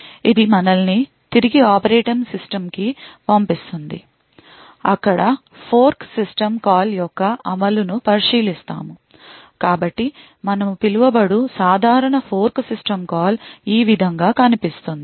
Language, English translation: Telugu, This would take us back to the operating system where we would look at the execution of something of the fork system call, so typical fork system called as you must be quite aware of would look something like this